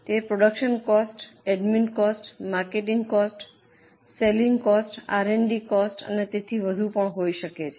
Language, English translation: Gujarati, It can be production costs, admin costs, marketing costs, selling cost, R&D costs and so on